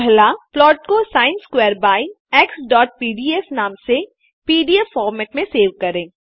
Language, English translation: Hindi, Save the plot by the sin square by x.pdf in pdf format